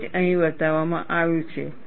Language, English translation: Gujarati, That is what is shown here